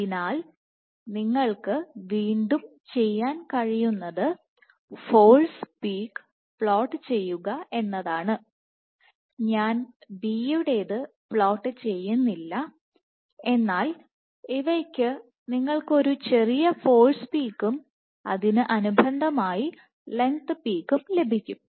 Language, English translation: Malayalam, So, once again what you can do is you can plot, the force peak I am not plotting the one for B, but what you have is for these you can get a small force peak and a corresponding length peak